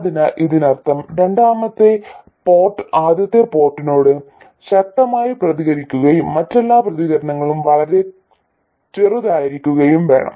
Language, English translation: Malayalam, So, all it means is that the second port must respond strongly to the first port and all other responses must be very small